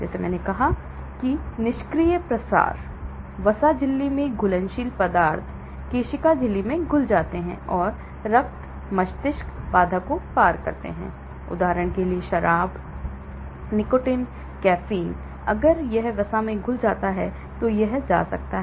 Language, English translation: Hindi, Like I said passive diffusion, fat soluble substances dissolved in the cell membrane and cross the blood brain barrier , example; alcohol, nicotine, caffeine if it gets dissolved in the fat, it can go